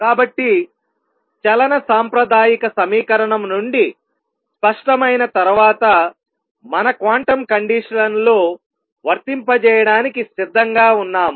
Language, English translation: Telugu, So, once that is clear from the classical equation of motion we are ready to apply our quantum conditions